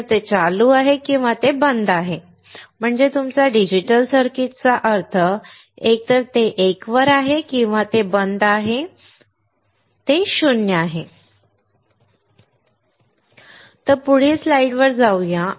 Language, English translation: Marathi, Either it is ON or it is OFF that is what your digital circuit means; either it is on that is 1 it is off it is 0; So, let us go to the next slide